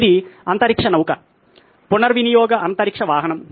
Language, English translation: Telugu, This is a space shuttle, a reusable space vehicle